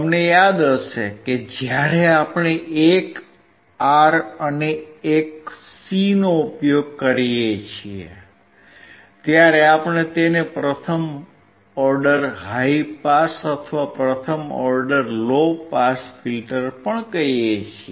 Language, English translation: Gujarati, You remember when we use one R and one C, we also called it is first order high pass or first order low pass filter